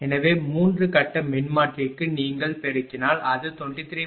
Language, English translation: Tamil, So, for 3 phase transformer if you multiply it will be 70